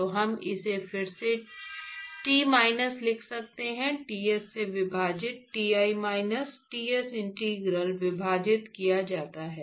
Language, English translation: Hindi, So, we can just rewrite this as T minus Ts divided by Ti minus Ts is integral divided by